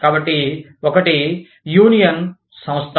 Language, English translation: Telugu, So, one is the union organization